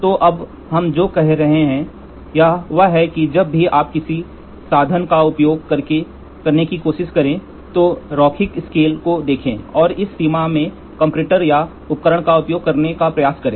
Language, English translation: Hindi, So, now what we are saying is whenever you try to use an instrument, look at the linearity range and try to use the comparator or the instrument in this range